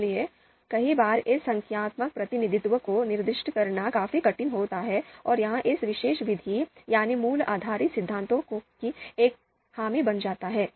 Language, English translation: Hindi, So many times this numerical representation is quite difficult to specify and that becomes a drawback of this particular method, value based theories